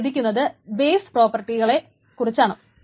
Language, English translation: Malayalam, So why is it's called base properties